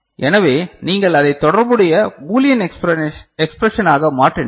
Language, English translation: Tamil, So, if you then convert it to corresponding Boolean expression